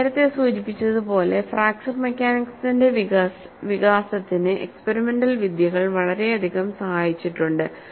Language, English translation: Malayalam, And as I mentioned earlier, you know, experimental techniques have contributed greatly to the development of fracture mechanics